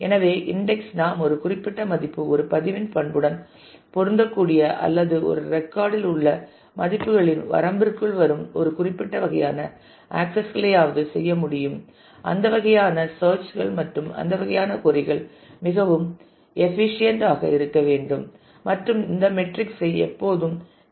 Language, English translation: Tamil, So, with that with indexing we should be able to do at least certain kind of accesses where a particular value matches the attribute of a record or falls within a range of values in a record those kind of searches those kind of queries should become very efficient and these metrics will have to always keep in mind